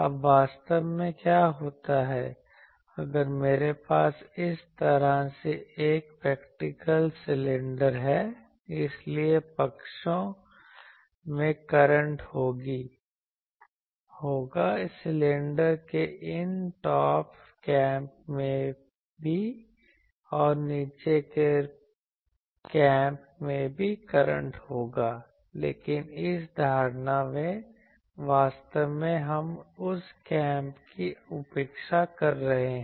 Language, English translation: Hindi, Now, these actually what happens if I have a practical cylinder like this; so there will be currents in the sides also in these top caps of the cylinder top and bottom caps there will be current, but by this assumption actually we are neglecting that cap